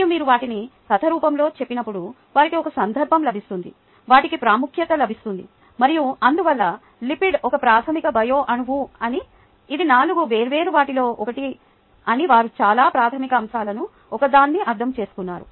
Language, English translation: Telugu, and when you tell them in the form of the story, they get a context, they get, ah, the significance and therefore, ah, they, they would have understood one of the very fundamental aspects: that lipid is a basic bio molecule